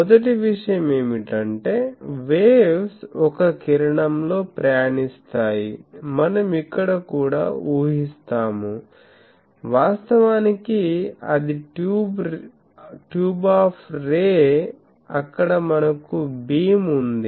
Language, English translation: Telugu, So, first thing is the waves travel in a ray that we will assume here also; actually in a tube of ray because we have a beam